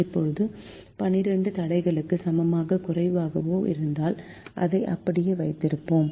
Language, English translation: Tamil, now, the less than equal to twelve constraint, we will keep it as it is